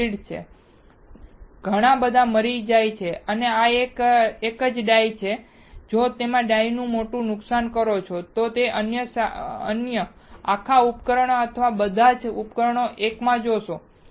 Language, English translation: Gujarati, These are grids, there are so many dies and this is a single die and if you magnify this die, you will see other whole device or many devices into one